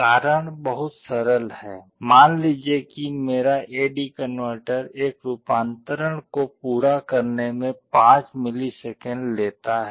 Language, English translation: Hindi, The reason is very simple, suppose my A/D converter takes 5 milliseconds to complete one conversion